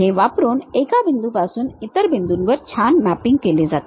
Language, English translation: Marathi, They will be nicely mapped from one point to other point